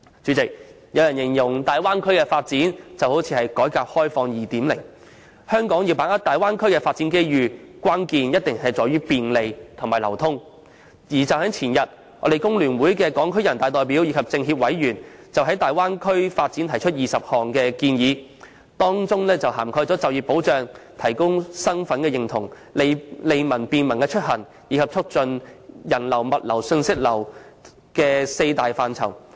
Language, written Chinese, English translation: Cantonese, 前天，屬香港工會聯合會的全國人民代表大會港區代表及中國人民政治協商會議全國委員會香港地區委員就大灣區發展提出了20項建議，當中涵蓋就業保障、提高身份認同、利民便民出行及促進人流、物流和信息流這四大範疇。, The Hong Kong Deputies to the National Peoples Congress and Hong Kong members of the Chinese Peoples Political Consultative Conference who belong to the Hong Kong Federation of Trade Unions FTU have put forward 20 proposals the day before yesterday on the development of the Bay Area . These proposals cover four major areas namely employment protection enhancing the sense of national identity efficient and convenient mobility as well as the promotion of the flow of personnel goods and information